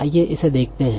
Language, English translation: Hindi, Let us see